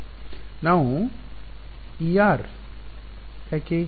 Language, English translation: Kannada, No why are we